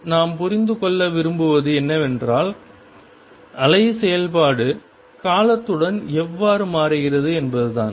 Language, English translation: Tamil, Now what we want to understand is how wave function changes with time